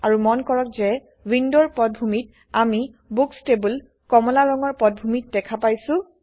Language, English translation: Assamese, Also notice that in the background window, we see the Books table in an Orange background